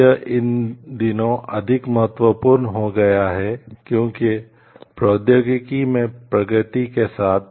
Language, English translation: Hindi, Why it has become more important these days, is because with the advances in technology